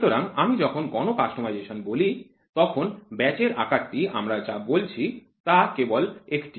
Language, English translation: Bengali, So, when I say mass customization the batch size what we are talking about is only one